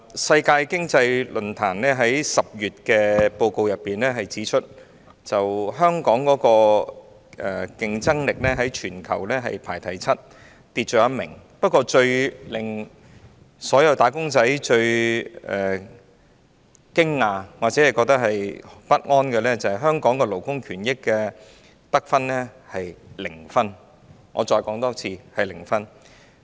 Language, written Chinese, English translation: Cantonese, 世界經濟論壇在10月發表的報告中指出，香港的競爭力在全球排行第七，下跌一位，但最令所有"打工仔"感到驚訝或不安的是，香港在勞工權益方面的得分是零分，我再說一次是零分。, As pointed out in the report published by the World Economic Forum in October Hong Kongs competitiveness dropped one place to the seventh in the world . And yet the most surprising or worrying to all wage earners is that Hong Kong scored zero on workers rights and I repeat zero marks